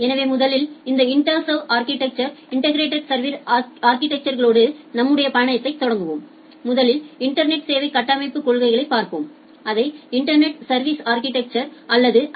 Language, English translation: Tamil, So first start our journey with this integrated service architecture, to start with first let us look the service architecture principles in the internet, we call it the internet service architecture or ISA